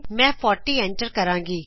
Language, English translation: Punjabi, I will enter 40